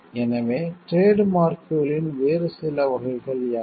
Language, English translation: Tamil, So, what are the other some categories of trademarks are